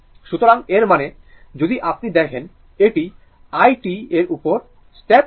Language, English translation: Bengali, So that means, if you see this, so the step response of i t and this thing